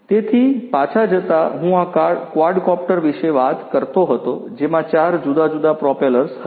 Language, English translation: Gujarati, So, going back I was talking about this quadcopter having 4 different propellers